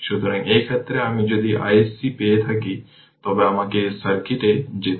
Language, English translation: Bengali, So, in this case if you got I I SC, then we have to go to this circuit